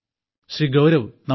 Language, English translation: Malayalam, Gaurav ji Namaste